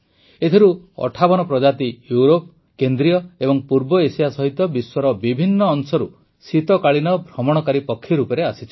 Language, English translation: Odia, And of these, 58 species happen to be winter migrants from different parts of the world including Europe, Central Asia and East Asia